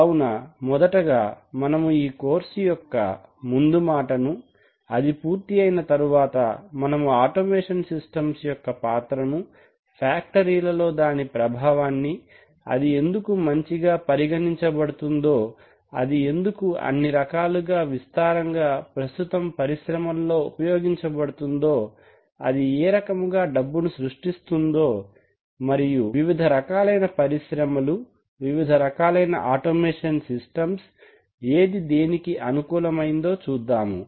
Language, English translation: Telugu, So, we are first of all we are going to have an introduction to the course and the subject having done that, we shall examine the role of automation systems in the industry, what it does to a factory, why it is considered so good, why it is found so widely existing in all types of factories, how it can generate money and then we will look at the various types of factories and the various types of automation systems which are suitable to these respective types of factories